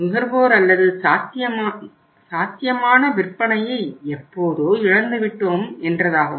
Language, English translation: Tamil, Lost the consumer or the potential sale forever